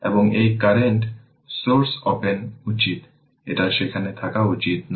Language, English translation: Bengali, And this current source should be open; it should not be there